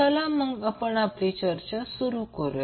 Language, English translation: Marathi, So let us start our discussion